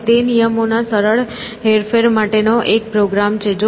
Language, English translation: Gujarati, And, it is a program for simple manipulation of rules